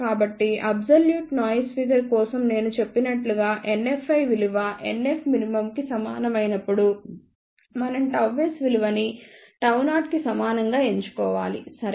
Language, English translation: Telugu, So, as I mentioned for absolute minimum noise figure when NF i is equal to NF min then we have to choose gamma s as equal to gamma 0, ok